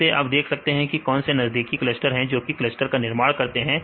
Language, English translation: Hindi, From this you can see what are the a nearest clusters which can form in one cluster